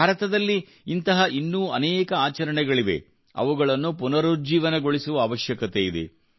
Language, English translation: Kannada, There are many other such practices in India, which need to be revived